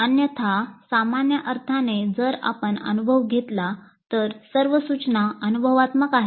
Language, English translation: Marathi, Otherwise in a usual sense if we take experience, all instruction is experiential